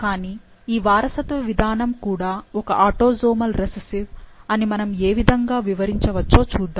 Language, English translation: Telugu, But, let's look into what are the possibilities through which we can explain that this mode of inheritance can also be a autosomal recessive one